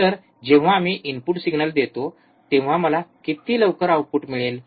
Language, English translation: Marathi, So, when I give a input signal, how fast I I get the output